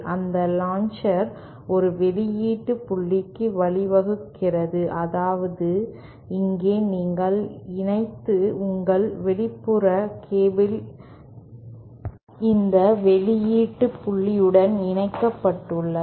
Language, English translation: Tamil, And that launcher leads to a output point which is, here then you connect, your external cable is connected to this output point